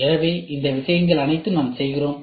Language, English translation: Tamil, So, all these things we do